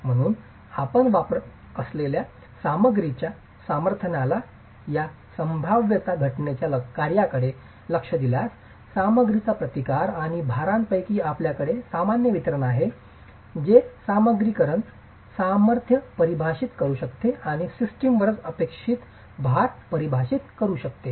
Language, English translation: Marathi, So, if you were to look at this probability density function of the strength of the material that you are using, the resistance of the material and of the loads, you have a standard normal distribution that can define the material strengths and define the expected loads on the system itself